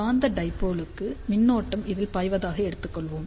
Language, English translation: Tamil, So, for magnetic dipole, then this will be the current which is going to flow over here